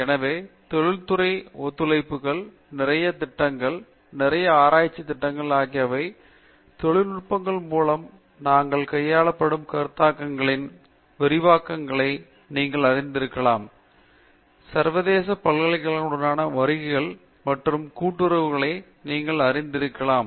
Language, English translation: Tamil, So, lot of industry collaborations, lot of projects, lot of research projects which maybe you know extensions of concepts that we are dealt with through industry collaborations, lots of extensive you know visits and collaborations with international universities and so on